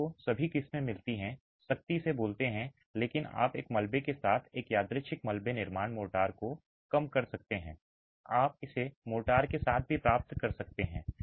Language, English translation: Hindi, You get all varieties, you get all varieties, strictly speaking, but you could have a random double construction motor less with wedging you could get it also with mortar